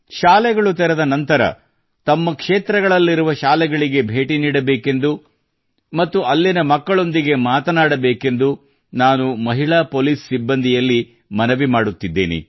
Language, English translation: Kannada, I would like to request the women police personnel to visit the schools in their areas once the schools open and talk to the girls there